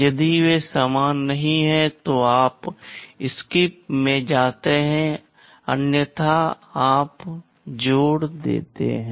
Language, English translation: Hindi, If they are not equal then you go to SKIP otherwise you add